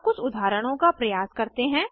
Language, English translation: Hindi, Now, lets try some examples